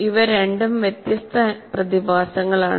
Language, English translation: Malayalam, These two are different phenomena